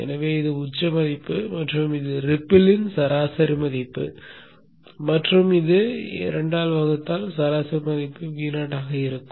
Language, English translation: Tamil, So if this is the peak value and this is the main value of the ripple, this plus this divided by 2, the average value will be V0